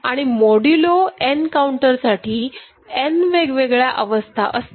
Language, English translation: Marathi, And for modulo n counter, n different states are there